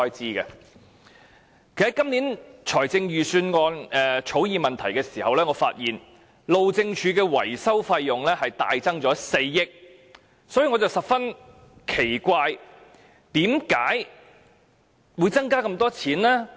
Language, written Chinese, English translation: Cantonese, 其實，我就今年財政預算案草擬問題時發現，路政署的維修費用大增4億元，所以我感到十分奇怪，為甚麼會增加這麼多費用？, In fact when I drafted my questions on the Budget this year I found that the maintenance cost for the Highways Department had greatly increased by 400 million and I felt very strange . Why would this cost be increased so much?